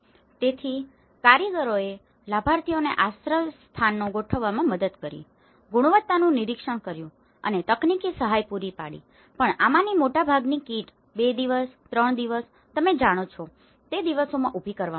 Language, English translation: Gujarati, So, the artisans assisted beneficiaries in setting out the shelters, monitored the quality and provided the technical assistance but most of these kits have been erected in a daysí time you know 2 days, 3 days